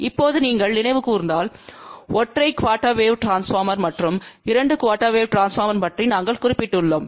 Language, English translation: Tamil, Now, if you recall we did mention about single quarter wave transformer and 2 quarter wave transformer